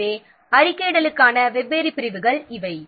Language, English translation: Tamil, So, these are the different categories of reporting